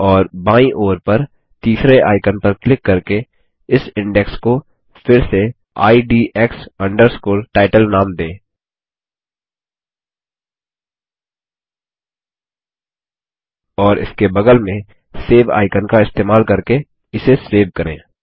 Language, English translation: Hindi, We can also choose the Ascending or Descending order here and rename this index to IDX Title by clicking on the third icon on the left, and save it using the Save icon next to it